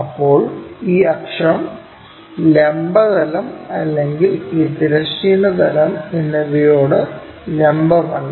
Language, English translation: Malayalam, Now, this axis is neither perpendicular to vertical plane nor to this horizontal plane